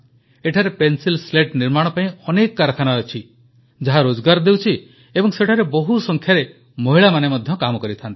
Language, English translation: Odia, Here, several manufacturing units of Pencil Slats are located, which provide employment, and, in these units, a large number of women are employed